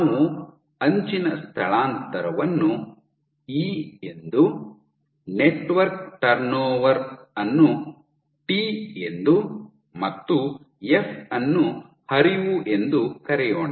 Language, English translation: Kannada, So, let us say that we call the edge displacement as E the network turn over as T and the flow as F